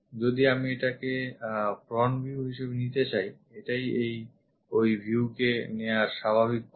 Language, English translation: Bengali, If I am going to pick this one as the front view, this is the natural way of picking up that view